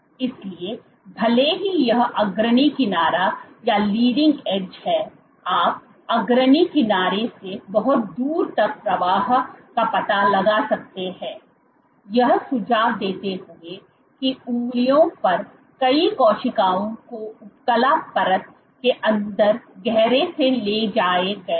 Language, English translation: Hindi, So, even though this is the leading edge you can detect flow very far from the leading edge suggesting that many of the cells at the fingers were transported from deep inside they epithelial layer